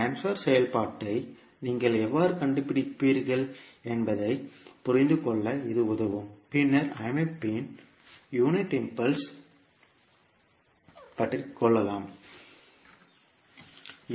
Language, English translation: Tamil, So this will help you to understand how you will find out the transfer function and then the unit impulse response of the system